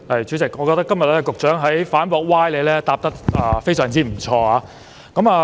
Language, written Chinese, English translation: Cantonese, 主席，我覺得局長今天在反駁歪理方面表現非常不錯。, President I think the Secretary has performed quite well in refuting specious arguments today